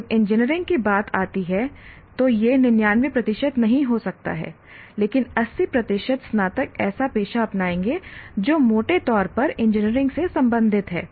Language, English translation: Hindi, When it comes to engineering, it may not be 99% but 80% will take a profession that is broadly related to engineering